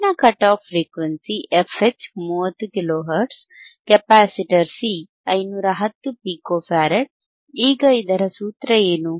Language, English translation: Kannada, Higher cut off frequency f H, is 30 kilo hertz, capacitor C is 510 pico farad, right